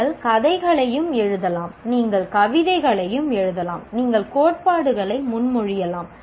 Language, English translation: Tamil, You can also write stories, you can write poems, you can propose theories, all this